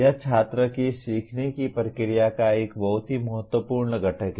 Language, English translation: Hindi, That is a very important component of a student’s learning process